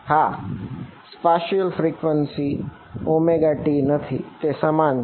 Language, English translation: Gujarati, Yeah, spatial frequency not omega t that this that is the same